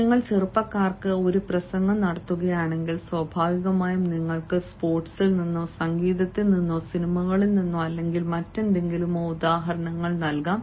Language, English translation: Malayalam, if you are delivering a talk, especially to the youngsters, naturally you can give examples either from sports or from music or from movies or whatsoever